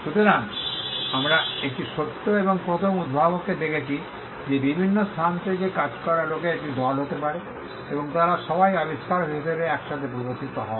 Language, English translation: Bengali, So, we are looking at a true and first inventor could be a team of people working from different locations and they are all shown together as the inventor